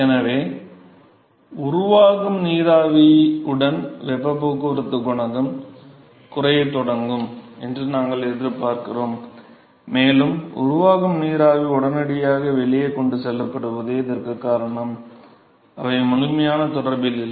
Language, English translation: Tamil, So, therefore, we expect the heat transport coefficient it will start decreasing with the with the more vapor that is formed, and the reason behind is that the vapor which is formed is immediately transported out and so, they are not in complete contact with the bottom surface